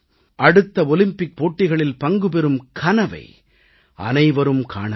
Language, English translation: Tamil, Each one should nurture dreams for the next Olympics